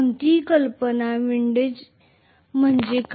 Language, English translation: Marathi, Any idea, what is windage